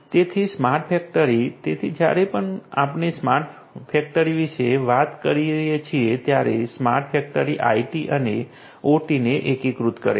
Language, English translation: Gujarati, So, smart factory: so whenever we are taking about smart factory smart factory integrates IT and OT